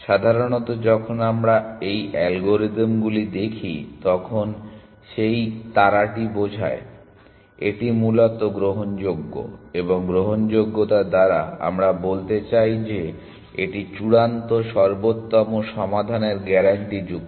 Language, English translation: Bengali, Generally, when we look at some of these algorithms, that star implies that, it is admissible essentially, and by admissible, we mean that it is guaranteed to final optimal solution